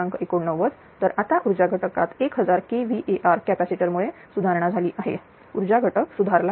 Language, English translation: Marathi, 89 now power factor is improved because of this 1000 kilo hour capacitor this power factor is improved, right